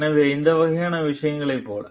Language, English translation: Tamil, So, like these type of things